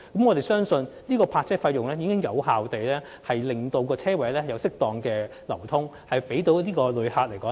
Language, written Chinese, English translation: Cantonese, 我們相信有關的泊車費已能有效令泊車位出現適當流轉，方便旅客使用。, We believe the relevant parking fee can effectively achieve a proper turnover of parking spaces and facilitate visitors use